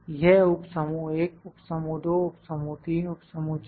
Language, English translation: Hindi, It is subgroup 1, subgroup 2, subgroup 3, subgroup 4